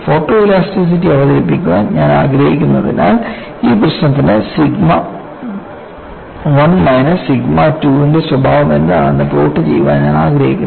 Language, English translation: Malayalam, Because I want to introduce photoelasticity,I would like you to plot what would be the nature of sigma 1 minus sigma 2 for this problem